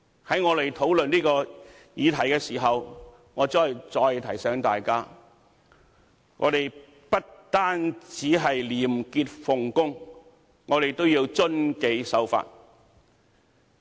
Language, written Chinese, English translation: Cantonese, 在我們討論這項議題時，我再提醒大家，我們不單要廉潔奉公，亦要遵紀守法。, When we are discussing this motion I wish to remind Members once again that we should not only uphold the value of probity when we carry out official duties we should also give our respect for law and order